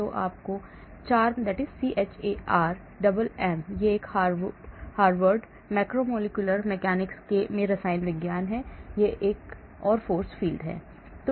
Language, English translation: Hindi, CHARMM: This is Chemistry at Harvard Macromolecular Mechanics, this is another force field